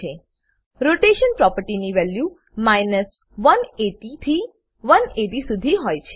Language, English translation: Gujarati, Rotation property has values from 180 to 180